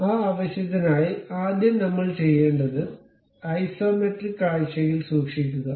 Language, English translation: Malayalam, So, for that purpose, what we have to do first of all keep it in isometric view